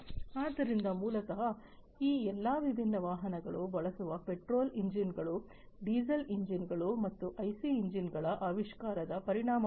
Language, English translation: Kannada, So, basically all these different engines the petrol engines, the diesel engines, that these different vehicles use are a result of the invention of these IC engines